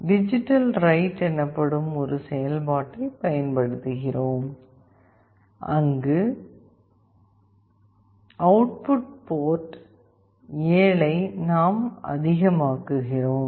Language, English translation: Tamil, We are using a function called digitalWrite, where the output port 7 we are making high